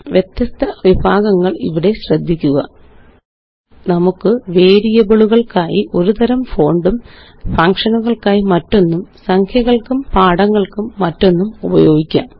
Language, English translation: Malayalam, Notice the various categories here: We can set one type of font for variables, another type for functions, another for numbers and text